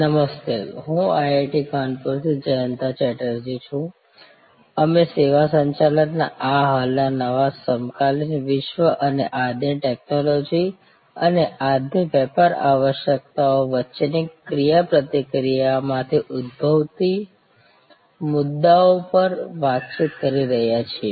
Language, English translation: Gujarati, Hello, I am Jayanta Chatterjee from IIT Kanpur, we are interacting on this existing new topic of services management in the contemporary world and the issues arising out of the interaction between today’s technology and today’s business imperatives